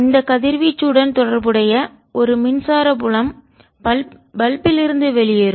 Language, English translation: Tamil, you have an electric field related to that radiation coming out of the balk